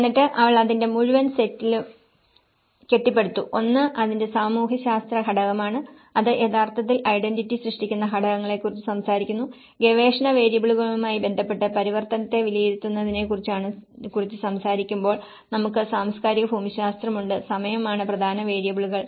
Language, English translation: Malayalam, And then she built on the whole set of it; one is the sociological component of it and which actually talks about the structures which create identity and when we talk about the assessment of transformation with respect to research variables, we have the cultural geography and the time are the main variables